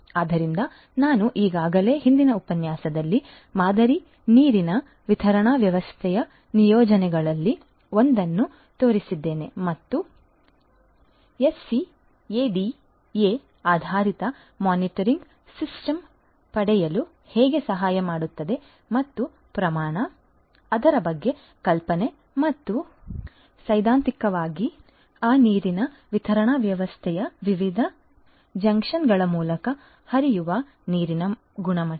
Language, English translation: Kannada, So, I have already shown you in a previous lecture one of the deployments of a model water distribution system and how a scatter based monitoring system can help in getting and the idea about the quantity and also theoretically the quality of the water that is flowing through different junctions of that water distribution system